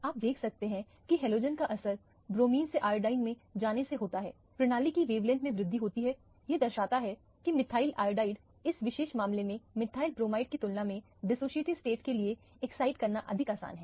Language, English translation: Hindi, You can see here the effect of halogen from going from bromine to iodine, there is an increase in the wavelength of the system indicating that the methyl iodide is much more easy to excite to the dissociative state compared to the methyl bromide in this particular case